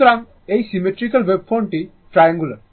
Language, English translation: Bengali, So, it is a symmetrical waveform this is a triangular wave form this is a triangular wave form